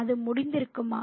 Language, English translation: Tamil, Could it be over